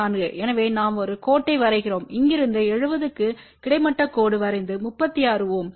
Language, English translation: Tamil, So, we draw a line from here close to seventy draw horizontal line and then 36 ohm